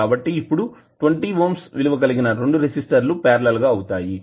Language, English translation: Telugu, So what will be the value of voltage across 20 ohm resistor which is in parallel with capacitor